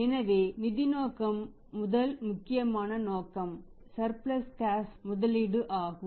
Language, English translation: Tamil, So, financial motive is first important motive is that investment of surplus cash